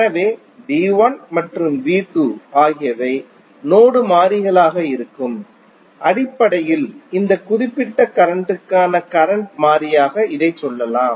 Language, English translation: Tamil, So, V 1 and V 2 would be the node variables basically we can say it as a circuit variable for this particular circuit